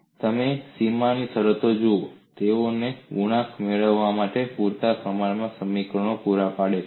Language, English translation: Gujarati, And you look at the boundary conditions, they provide you sufficient number of equations to get the coefficients